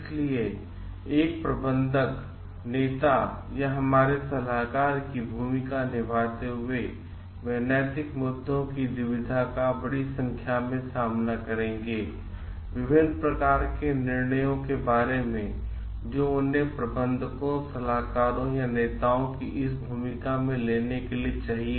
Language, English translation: Hindi, So, in playing the role of a manager leader or our consultant, they will be facing number of ethical issues dilemmas, regarding various pockets of decisions that they need to take in this roles of managers consultants or leaders